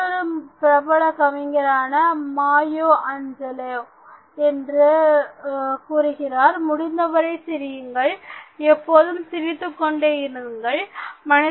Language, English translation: Tamil, As another famous poet, Maya Angelou recommends: “Laugh as much as possible, always laugh